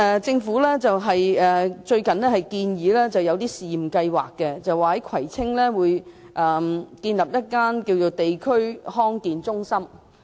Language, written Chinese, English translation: Cantonese, 政府最近建議推出試驗計劃，在葵青區建立一間地區康健中心。, Recently the Government proposed to introduce a pilot scheme of setting up a District Health Centre in Kwai Tsing